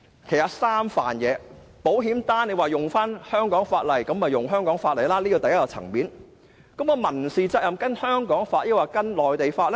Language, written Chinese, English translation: Cantonese, 如果說保險賠償是依據香港法例，便沿用香港法例，這是第一個層面，但民事責任應該依據香港還是內地的法例呢？, If insurance compensation is to be governed by the laws of Hong Kong then the laws of Hong Kong should of course apply . This is the first level . But then should the issue of civil liability be governed by the laws of Hong Kong or the laws of the Mainland?